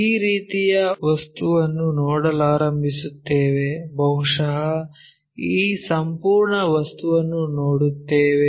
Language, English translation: Kannada, This one we start seeing something like that perhaps this entire thing in that way we will see